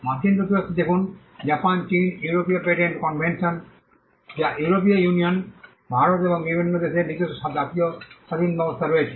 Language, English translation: Bengali, See in the United States, in Japan, China, the European patent convention which is the European Union, India and different countries have their own national regimes